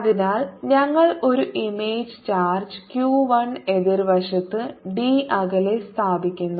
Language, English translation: Malayalam, so we are placing an image charge q one at a distance d on the opposite side